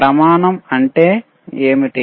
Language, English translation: Telugu, What is criteria